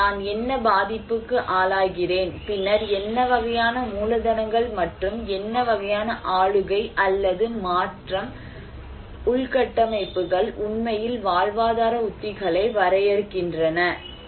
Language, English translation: Tamil, So, what vulnerability I am exposed to, and then what kind of capitals and what kind of governance or transforming structures I have that actually define the livelihood strategies